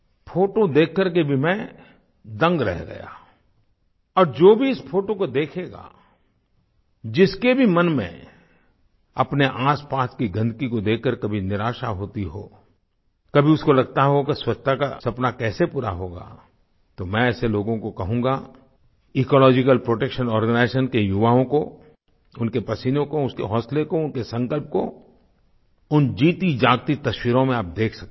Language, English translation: Hindi, I was overwhelmed on seeing these and whoever will see these photographs, no matter how upset he is on witnessing the filth around him, and wondering how the mission of cleanliness will be fulfilled then I have to tell such people that you can see for yourself the toil, resolve and determination of the members of the Ecological Protection Organization, in these living pictures